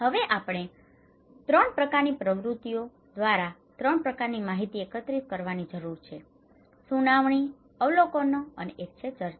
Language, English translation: Gujarati, Now, we have also need to collect 3 kinds of informations or informations through 3 kinds of activities; one is hearing, one is observations, one is discussions